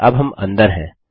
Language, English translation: Hindi, Now we are in